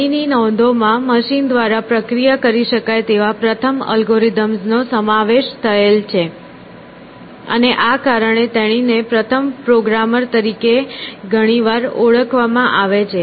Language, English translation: Gujarati, So, her notes include what can be called as a first algorithm which is processed by a machine, and because of this she is often called as the first programmer